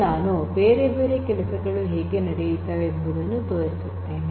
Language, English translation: Kannada, Next I am going to show you how different other things are done